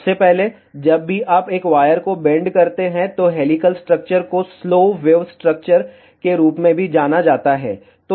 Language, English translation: Hindi, First of all, whenever you bent a wire, helical structure is also known as slow wave structure